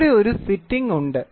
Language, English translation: Malayalam, So, here is a fitting